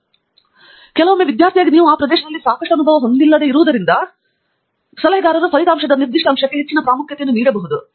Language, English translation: Kannada, So, sometimes as a student because you do not yet have enough experience in the area, you may tend to give lot of importance to a particular aspect of your result